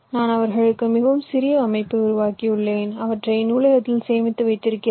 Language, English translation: Tamil, i have created a very compact layout for them and i have stored them in the library